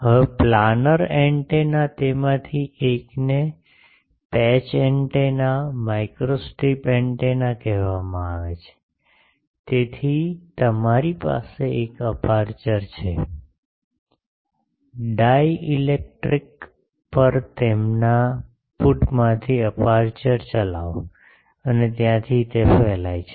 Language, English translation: Gujarati, Now a days the planar antennas one of that is called patch antenna, microstrip antenna, so you have a aperture, conducting aperture from their put on dielectrics and from there it is radiating